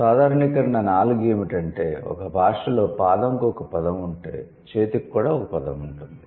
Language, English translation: Telugu, And generalization four, if a language has a word for foot, then it will also have a word for hand